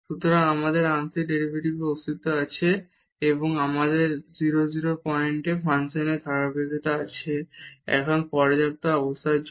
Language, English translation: Bengali, So, we have the existence of the partial derivatives and we have the continuity of the function at 0 0 point, now for the sufficient conditions